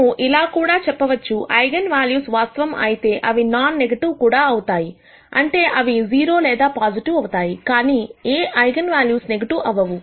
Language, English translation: Telugu, We can also say that while the eigenvalues are real; they are also non negative, that is they will be either 0 or positive, but none of the eigenvalues will be negative